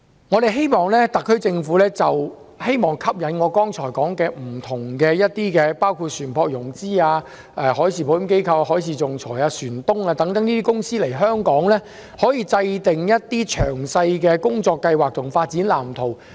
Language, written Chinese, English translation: Cantonese, 我希望特區政府可以就吸引我剛才提到包括船舶融資機構、海事保險公司、海事仲裁機構、船東等來港，制訂詳細的工作計劃和發展藍圖。, I hope that the Government will prepare detailed work plans and development blueprints to attract the above mentioned agencies including vessel finance companies marine insurance companies marine arbitrator and ship - owners to Hong Kong